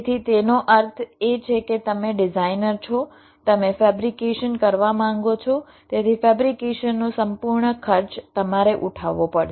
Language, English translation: Gujarati, so means you are a designer, you want to fabricate, so the entire cost of fabrication have to be borne by you